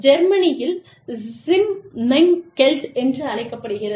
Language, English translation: Tamil, In Germany, Schimmengelt